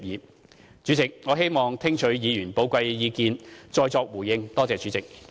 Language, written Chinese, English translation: Cantonese, 代理主席，我希望聽取議員的寶貴意見，再作回應。, Deputy President I wish to listen to the valued opinions from Members and then respond